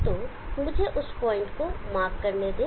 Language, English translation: Hindi, So let me mark that point